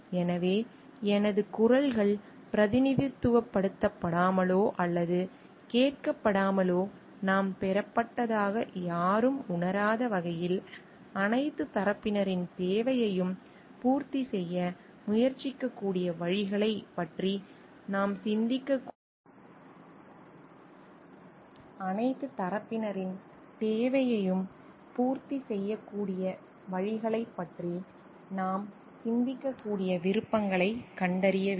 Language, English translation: Tamil, So, we have to find out options we have think of ways in which we can try to meet the need of the all the parties so that nobody feels like we have been derived my voices not been represented or heard